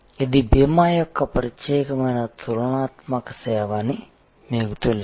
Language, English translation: Telugu, You know this is a unique comparative service of insurance